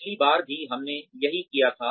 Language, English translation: Hindi, We did this also, last time